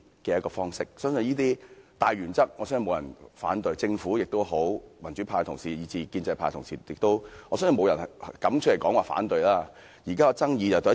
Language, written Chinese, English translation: Cantonese, 我相信這些大原則沒有人反對，不論政府、民主派同事以至建制派同事，我相信沒有人敢表示反對。, I believe no one including the Government the democrats and pro - establishment Members will object to these major principles and no one dares to raise any objection